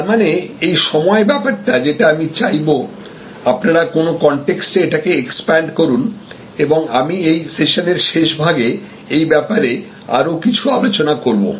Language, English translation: Bengali, So, which means this time and I would say expand it also to the contexts and I will explain this a little bit more toward the end of this session